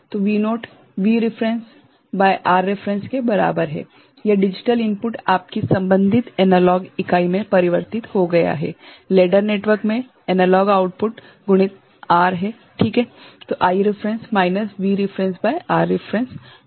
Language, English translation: Hindi, So, V naught is equal to V reference by R reference, this digital input converted to your corresponding analog unit, analog output in the ladder network and multiplied by R is it fine